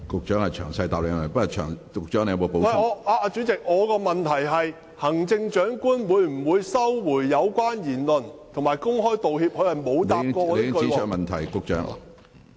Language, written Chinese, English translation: Cantonese, 主席，我提出的補充質詢是，行政長官會否收回有關言論，並且公開道歉，但局長沒有回答我的補充質詢。, President my supplementary question is whether the Chief Executive will retract the relevant remarks and apologize publicly but the Secretary has failed to answer my supplementary question